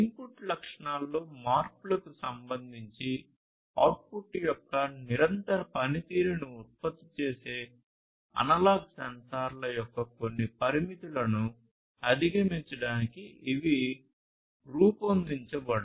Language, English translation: Telugu, And these have been designed in order to overcome some of the limitations of the analog sensors which produces continuous function of the output with respect to the input changes, change characteristics